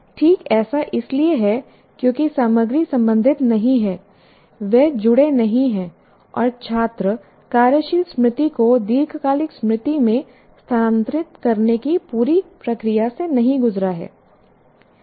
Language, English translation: Hindi, That is precisely because the content is not related, they are not connected, and the student hasn't gone through the entire process of transferring working memory to the long term memory